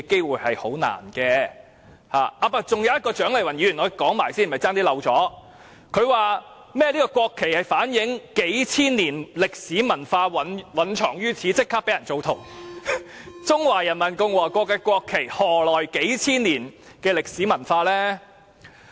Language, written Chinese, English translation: Cantonese, 還有一點是有關蔣麗芸議員的，我差點忘了說，她說甚麼國旗反映數千年歷史文化蘊藏於此，其後立即被人質疑，中華人民共和國的國旗何來數千年歷史文化？, I have almost forgotten to talk about it . She said something like the national flag reflecting an embedded history and culture of thousands of years which was immediately challenged afterwards . How will the national flag of the Peoples Republic of China have a history and culture of thousands of years?